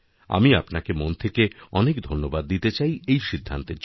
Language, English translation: Bengali, I want to thank you from the core of my heart for this decision